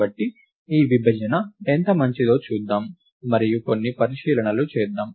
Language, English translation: Telugu, So, let us see how good this partition is, and let us make some observations